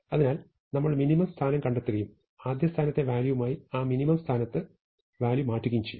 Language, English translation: Malayalam, So, we find the minimum position and swap the value at that minimum position with the value at the first position